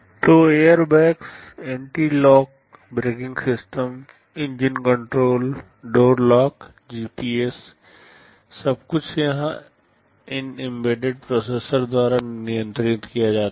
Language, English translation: Hindi, So, airbags, anti lock braking systems, engine control, door lock, GPS, everything here these are controlled by embedded processors